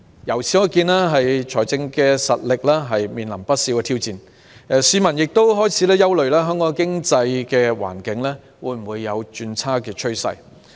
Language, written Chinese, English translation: Cantonese, 由此可見，政府財政實力面臨不少挑戰，市民亦開始憂慮香港的經濟環境有否轉差的趨勢。, This shows that the Governments financial strength is facing many challenges and the public are also worried whether the economic environment in Hong Kong has turned worse